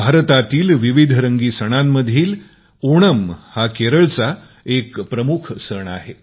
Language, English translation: Marathi, Of the numerous colourful festivals of India, Onam is a prime festival of Kerela